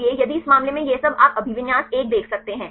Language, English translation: Hindi, So, if all this in this cases you can see the occupancy is 1